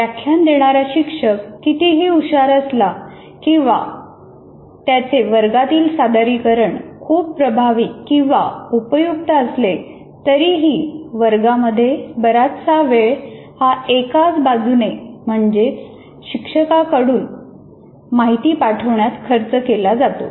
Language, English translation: Marathi, Because when you lecture, however knowledgeable the teacher is, however much the way of presenting in the classroom is good or bad, most of the time in the classroom is spent in transfer of information one way